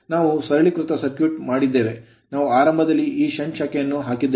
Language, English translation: Kannada, We have made a simplified circuit we have put this shunt branch at the beginning right and these are all these things